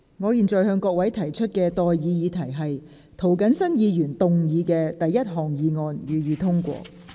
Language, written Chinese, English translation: Cantonese, 我現在向各位提出的待議議題是：涂謹申議員動議的第一項議案，予以通過。, I now propose the question to you and that is That the first motion moved by Mr James TO be passed